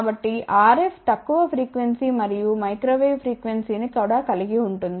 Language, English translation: Telugu, So, RF is lower frequency also and even microwave frequency